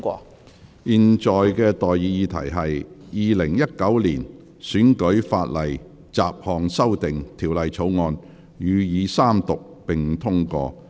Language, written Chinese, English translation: Cantonese, 我現在向各位提出的待議議題是：《2019年選舉法例條例草案》予以三讀並通過。, I now propose the question to you and that is That the Electoral Legislation Bill 2019 be read the Third time and do pass